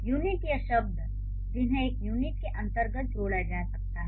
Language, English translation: Hindi, The units or the words which can be clubbed under one unit